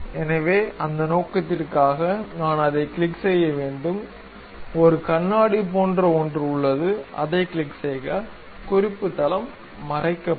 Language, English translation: Tamil, So, for that purpose I have to click that; there is something like a spectacles, click that, reference plane will be hided